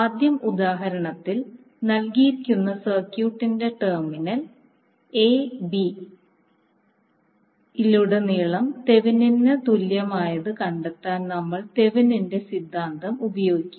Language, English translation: Malayalam, First we will use the Thevenin’s theorem to find the Thevenin equivalent across the terminal a b of the circuit given in the example